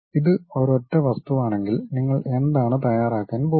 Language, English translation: Malayalam, If it is one single object, what you are going to prepare